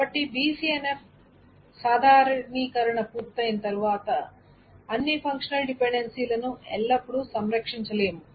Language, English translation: Telugu, So after the BCNF normalization is done, it is not always that one can preserve all the functional dependencies